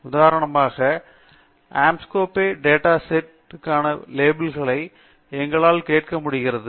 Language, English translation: Tamil, For example, we could ask what are the labels for Anscombe data set